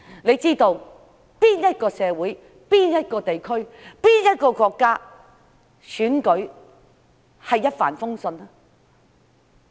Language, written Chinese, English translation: Cantonese, 哪一個社會、哪一個地區、哪一個國家的選舉會是一帆風順的？, Will elections in any community any region and any country always be smooth sailing?